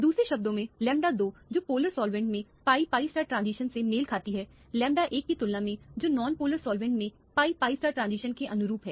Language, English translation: Hindi, In other words the lambda 2 which corresponds to the pi pi star transition in the polar solvent, in comparison to the lambda 1 which correspond to the pi pi star transition in a non polar solvent